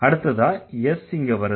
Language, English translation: Tamil, Then there comes S